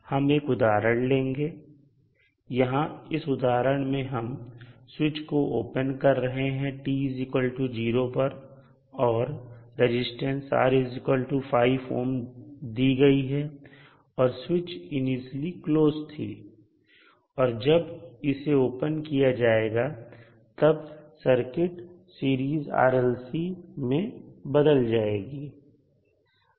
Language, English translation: Hindi, In this example the switch is open at time t is equal to 0 and the resistance R which is given in the figure is 5 ohm, so what happens the switch is initially closed and when it is opened the circuit is converted into Series RLC Circuit